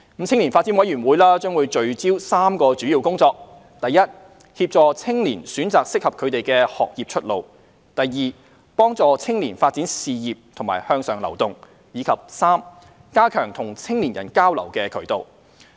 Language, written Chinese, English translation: Cantonese, 青年發展委員會將聚焦3項主要工作：第一，協助青年選擇適合他們的學業出路；第二，幫助青年發展事業和向上流動；以及第三，加強與青年人交流的渠道。, YDC will focus on three main tasks first assisting in young peoples selection of suitable study pathways; second facilitating young peoples career development and promoting their upward mobility; and third strengthening communication channels with young people